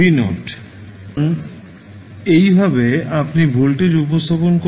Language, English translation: Bengali, So, this is how you will represent the voltage